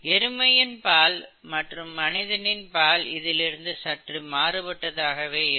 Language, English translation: Tamil, Buffalo milk is slightly different and human milk is slightly different, okay